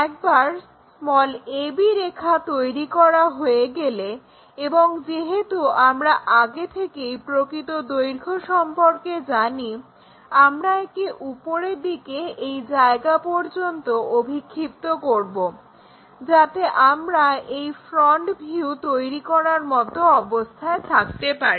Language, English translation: Bengali, Once a b line is there and already true length line we know project it back all the way up, all the way up, up to here, up to here rotate it all the way there so, that we will be in a position to construct, this front view